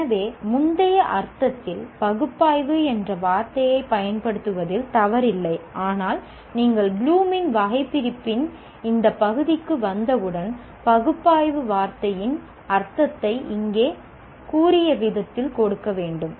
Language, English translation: Tamil, So there was nothing wrong in using the word analyze in the previous sense, but once you come into this realm of Bloom's taxonomy, it is necessary to give the meaning to this word analyze the way it has been stated here